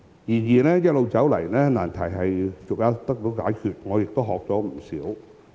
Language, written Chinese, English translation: Cantonese, 然而，一路走來，難題逐一得到解決，而我亦從中學懂不少。, However as time went by we overcame the difficult problems one by one and I learned a lot in the course of it